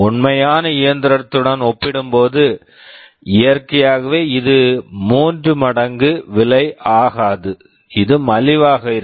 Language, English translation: Tamil, Naturally this will not be costing three times as compared to the original machine, this will be cheaper